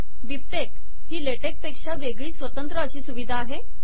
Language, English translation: Marathi, Bibtex is a stand alone utility separate from LaTeX